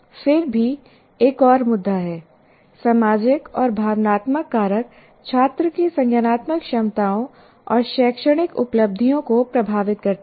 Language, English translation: Hindi, Social and emotional factors influence students' cognitive abilities and academic achievements